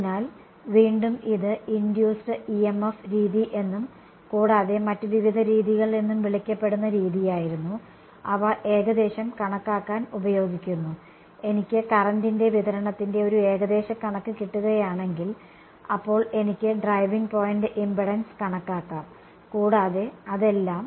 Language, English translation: Malayalam, So, again this was method which is called the Induced EMF method and various other methods, they are used to approximate, if I can get an approximation of the current distribution then I can calculate this driving point impedance and all that right